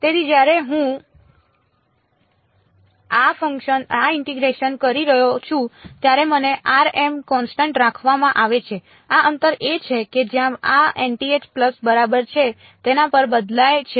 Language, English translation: Gujarati, So, when I am doing this integration I am r m is being held constant this distance is what is varying over where over this n th pulse correct